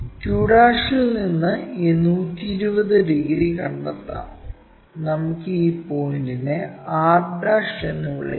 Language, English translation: Malayalam, From q', let us locate this 120 degrees and let us call this point as r'